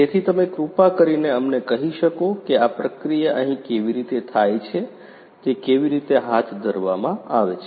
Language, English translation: Gujarati, So, could you please tell us that how this process is conducted you know what exactly happens over here